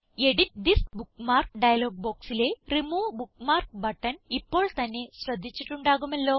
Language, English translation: Malayalam, Of course, youve already noticed the Remove bookmark button in the Edit This Bookmark dialog box